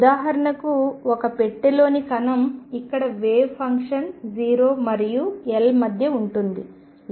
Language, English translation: Telugu, What is seen is for example, particle in a box, where wave function is between 0 and l